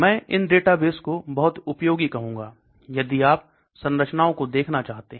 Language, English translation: Hindi, So these are I would call databases very useful, for if you want to look at structures